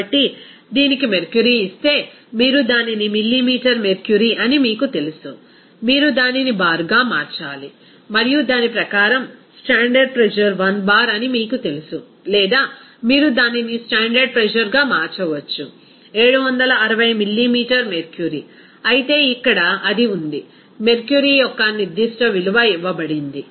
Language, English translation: Telugu, So, if it is given mercury, you know that millimeter mercury, then you have to convert it to bar and accordingly you know that standard pressure is 1 bar or otherwise you can convert it to standard pressure is 760 millimeter mercury, whereas here it is given certain value of mercury